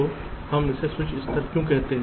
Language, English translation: Hindi, so why we call it as a switch level